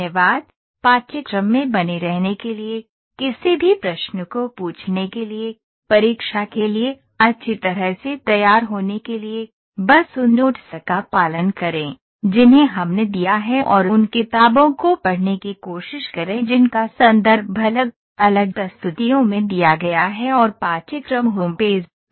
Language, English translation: Hindi, Thank you, for being in the course you are welcome to ask any questions, prepare well for the exam, just follow the notes those we have given and also try to read the books those are given in the reference in the different presentations and the course home page